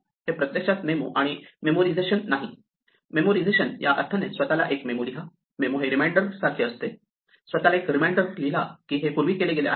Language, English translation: Marathi, It is actually memo and not memorization; memoization in the sense of write yourself a memo, memo is like a reminder, write yourself a reminder that this has been done before